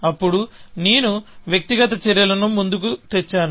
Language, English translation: Telugu, Then, I have pushed the individual actions